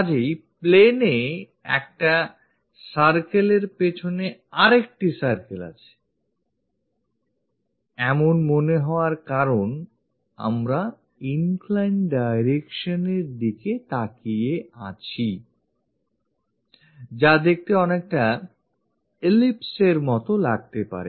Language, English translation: Bengali, So, on the plane, it looks like a circle followed by circle because we are looking at inclined direction, it might looks like ellipse